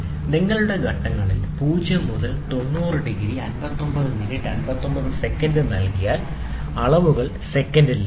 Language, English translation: Malayalam, So, thus given 0 to 90 degrees 59 minutes 59 seconds in steps of you can get in steps of seconds